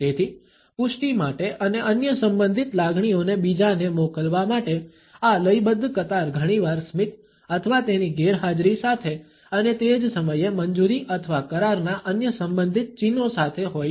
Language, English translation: Gujarati, So, this rhythmical queue for affirmation and for passing on other related emotions is also often accompanied by smiling or its absence and at the same time other related signs of approval or agreement